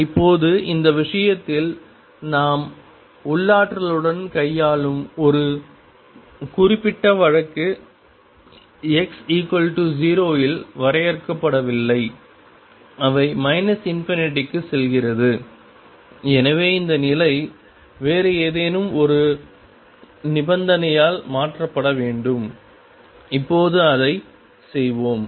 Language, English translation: Tamil, Now, in this case a particular case that we are dealing with the potential is not finite at x equal to 0 it goes to minus infinity therefore, this condition has to be replaced by some other condition and we will do that now